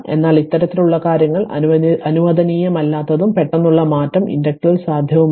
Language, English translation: Malayalam, But this kind of thing not allowed right and abrupt change is not possible in the inductor right